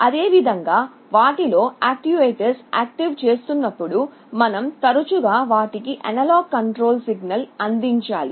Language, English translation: Telugu, Similarly when you are activating the actuators, you often need to provide an analog control signal for those